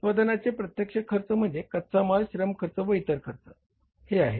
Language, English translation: Marathi, Direct cost of the production is the material cost, labour cost and other overheads cost